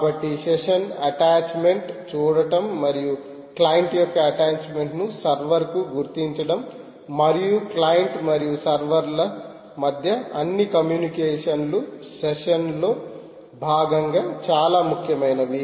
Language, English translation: Telugu, so just had to look at session attaches and identify the attachment of a client, of a client, right to a server, and all communication between client and server takes place as part of the session